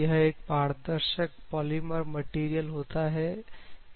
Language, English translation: Hindi, Perspex is a transparent polymer material